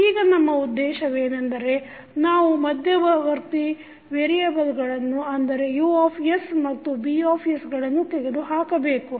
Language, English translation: Kannada, Now, the objective is that we need to eliminate the intermediate variables that is U and B